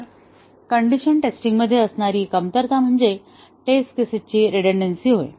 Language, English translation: Marathi, So, this condition testing; some of the shortcomings are redundancy of test cases